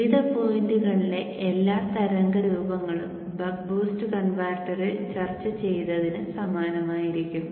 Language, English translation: Malayalam, All the waveforms at various points will be similar to what has been discussed in the buck boost converter